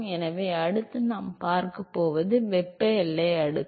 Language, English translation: Tamil, So, what we are going to see next is the thermal boundary layer